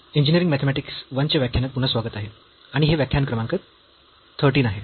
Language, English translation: Marathi, Welcome back to the lectures on Engineering Mathematics I, and this is lecture number 13